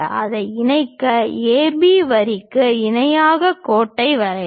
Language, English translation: Tamil, Draw a parallel line to AB line connect it